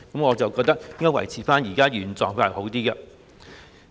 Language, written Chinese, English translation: Cantonese, 我覺得應該維持原狀會較好。, I think it is better to maintain the current arrangement